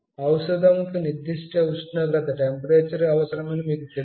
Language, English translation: Telugu, You know medicines need certain temperature